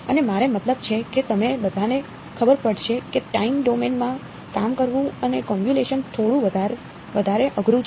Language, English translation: Gujarati, And I mean all of you will know by now that working in the time domain and a convolution is a little bit more painful